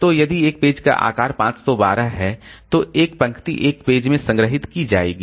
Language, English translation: Hindi, So, if a page size is 512, then 1 row will be stored in one page